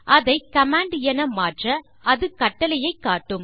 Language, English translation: Tamil, I can change it to command and it will show me the command